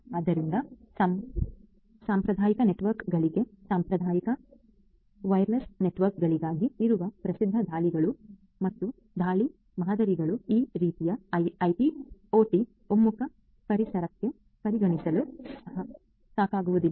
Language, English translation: Kannada, So, the well known attacks and attack models that are there for traditional networks, for traditional wire less networks are also not sufficient to be considered for this kind of IT OT converged environment